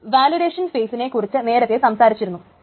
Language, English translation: Malayalam, We have been talking about the validation phase, etc